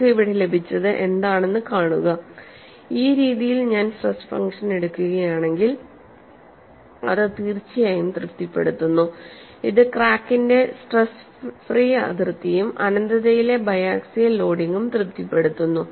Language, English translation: Malayalam, See, what we have got here is, it definitely satisfies if I take the stress function in this fashion, it satisfies the stress free boundary of the crack as well as biaxial loading at infinity; this stress function takes care